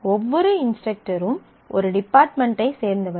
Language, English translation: Tamil, Certainly, every instructor must have a department